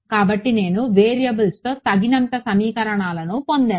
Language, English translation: Telugu, So, that I got enough equations in variables